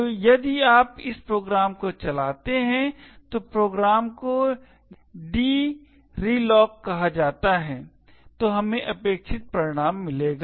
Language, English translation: Hindi, So, if you run this program, the program is called dreloc then we would get expected output